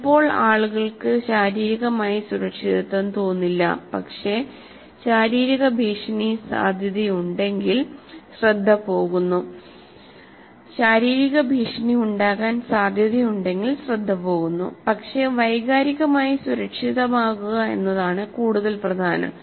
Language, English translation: Malayalam, If sometimes people may physically may not feel safe, but if there is a physical, likely to be a physical threat, obviously the entire attention goes, but emotionally secure